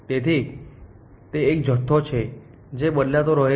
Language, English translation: Gujarati, So, it is a quantity which keeps changing